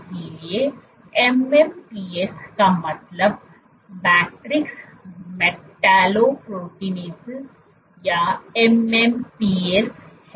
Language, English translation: Hindi, So, MMPs stands for matrix metallo proteinases or MMPs in short